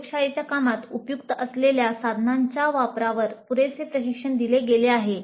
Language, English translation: Marathi, Adequate training was provided on the use of tools helpful in the laboratory work